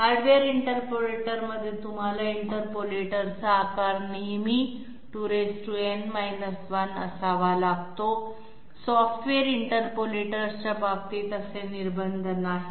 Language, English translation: Marathi, Like in the hardware interpolators you always have to have size of the interpolator to be 2 to the power n 1, such restrictions are not there in case of software interpolators okay